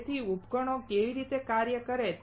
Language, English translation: Gujarati, So, how does a device work